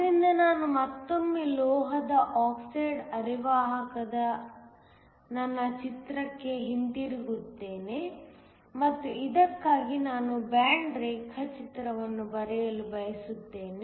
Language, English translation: Kannada, So, let me again go back to my picture of the metal oxide semiconductor and I want to draw a band diagram for this